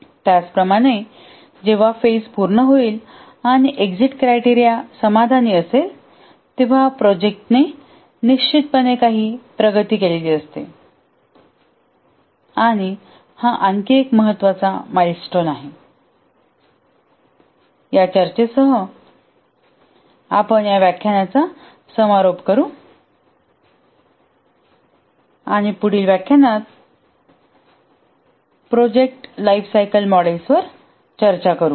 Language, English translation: Marathi, When there is a phase starts after the phase entry criteria has been met an important milestone is met similarly when the phase completes and the exit criteria are satisfied the project definitely has made some progress and that forms another important milestone with this discussion we will conclude this lecture and in the next lecture we will discuss a few project lifecycle models